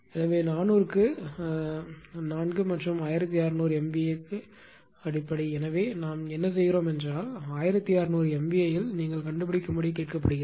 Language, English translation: Tamil, So, 4 in 400 into 4 and on 1600 MVA base right; so, what we are doing is that we are typed because it is asked that you find out on 1600 MVA base